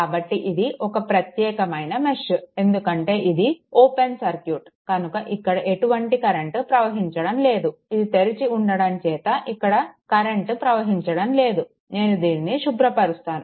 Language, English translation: Telugu, So, this is a separate mesh it is a separate mesh because this is open so, no current is flowing here, because it is a say it is a its a this is open this is open right; so, let me clear it